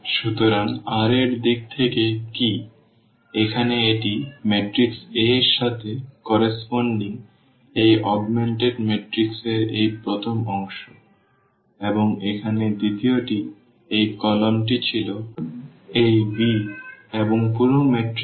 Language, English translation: Bengali, So, what in terms of the r we will be talking always about now the this is corresponding to the matrix A this first part of this augmented matrix and the second one here this column was this b and the whole matrix we are calling this A b